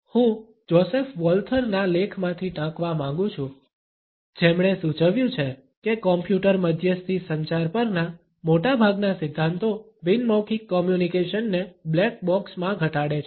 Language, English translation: Gujarati, I would like to quote from an article by Joseph Walther, who has suggested that most of the theories on computer mediated communication tend to reduce nonverbal communication to a ‘black box’